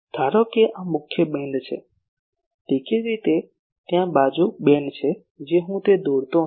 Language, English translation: Gujarati, Suppose this is the main beam; obviously, there are side beams I am not drawing that